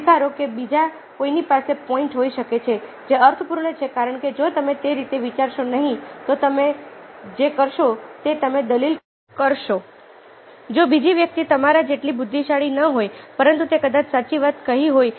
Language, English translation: Gujarati, very often, accept that ah, somebody else might have the points which are meaningful, because if you don't think that way, what you will do is you will argue, if the other person may not be as intelligent as you are, but he might be telling the correct thing